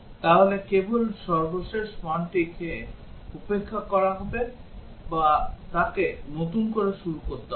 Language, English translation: Bengali, So just the last value is ignored or he would have to start fresh